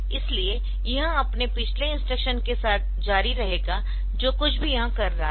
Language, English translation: Hindi, So, they it will continue with its previous instruction whatever it was doing